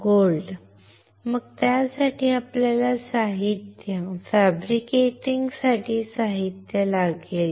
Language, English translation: Marathi, Gold right, then it will we need material, material for fabricating